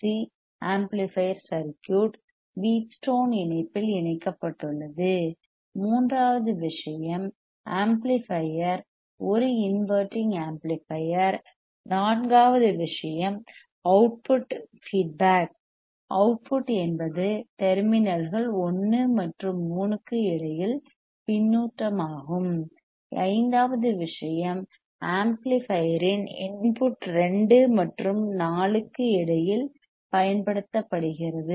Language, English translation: Tamil, That this Wein bridge oscillator is a is used as a audio frequency sine wave oscillator, second thing is that the two RC amplifier circuit is connected in Wheatstone connection, third thing is the amplifier is a non inverting amplifier, fourth thing is the output is feedback output is feed to between the terminals 1 and 3, fifth thing is the input of the amplifier is applied between 2 and 4 right